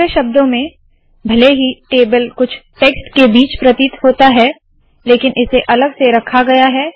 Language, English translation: Hindi, In other words, even though the table appear in between some text, it has been put separately